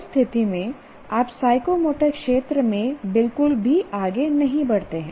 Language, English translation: Hindi, In that case, you do not move forward in the psychomotor domain at all